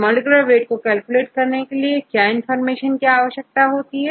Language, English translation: Hindi, What all information do you need to calculate the molecular weight